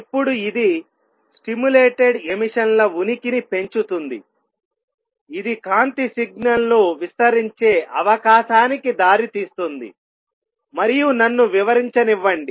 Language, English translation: Telugu, Now this gives raise to the existence of stimulated emission gives rise to possibility of amplifying a light signal, and let me explain